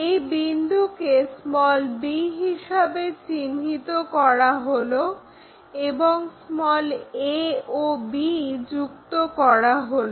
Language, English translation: Bengali, Locate this point b and a to b join it